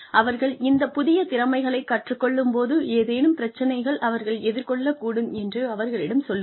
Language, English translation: Tamil, Tell them that, whatever they are learning, or, the problems, they could face, in this new skill that, they are learning